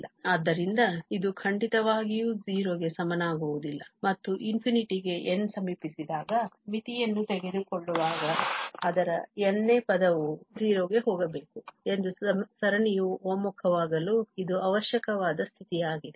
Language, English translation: Kannada, So, it is not definitely equal to 0 and that is the necessary condition for series to converge that its nth term taking the limit as n approaches to infinity must go to 0